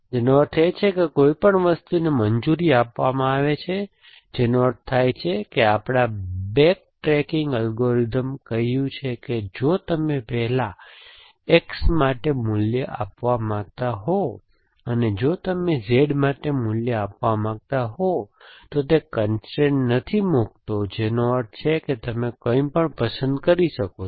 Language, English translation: Gujarati, It means anything allowed to anything which means, what that our back trekking algorithm said that if you first want to give a value for X, and if you want to give a value for Z, it is not putting constraint which means you can choose